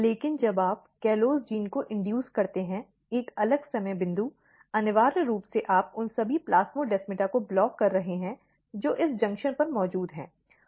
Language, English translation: Hindi, But when you induce CALLOSE gene, a different time point essentially you are blocking all the plasmodesmata which are present at this junction